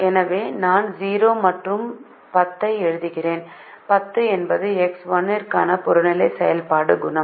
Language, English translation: Tamil, and therefore we write zero and zero, which are the coefficients of the objective function